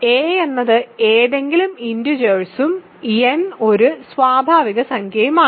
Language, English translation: Malayalam, So, a is any integer and n is a natural number